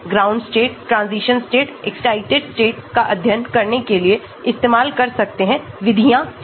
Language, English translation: Hindi, can be used to study ground state, transition state, excited state , there are methods